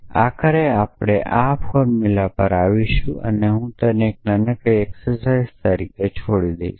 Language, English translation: Gujarati, But eventually we will come to this formula and I will leave that as a small exercise